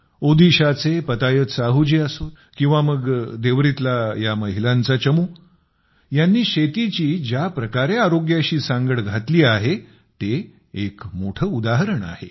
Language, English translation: Marathi, Whether it is Patayat Sahu ji of Odisha or this team of women in Deori, the way they have linked agriculture with the field of health is an example in itself